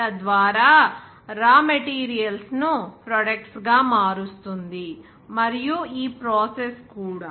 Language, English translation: Telugu, Thereby converting raw materials into products and also this process